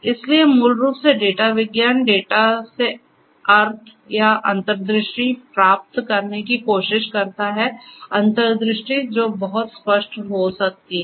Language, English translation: Hindi, So, basically data science is nothing, but trying to derive meaning or insights, from data insights that may not be very apparent and so on